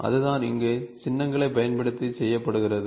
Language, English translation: Tamil, So, that is what is done using the symbols here